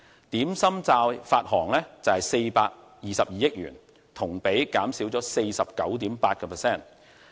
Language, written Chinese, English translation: Cantonese, 點心債發行量為422億元，同比減少 49.8%。, The issuance of Dim Sum Bonds amounted to 42.2 billion a year - on - year decline of 49.8 %